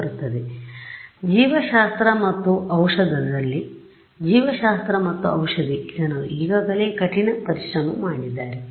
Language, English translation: Kannada, So, biology and medicine people in biology and medicine they have already done the hard work